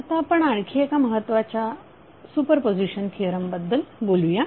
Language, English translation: Marathi, Now let us talk about one important theorem called Super positon theorem